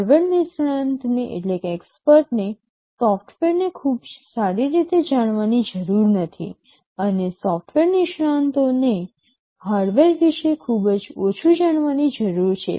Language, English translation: Gujarati, The hardware expert need not know software very well and software experts need only know very little about the hardware